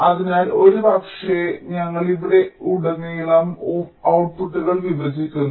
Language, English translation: Malayalam, so maybe we are splitting outputs across these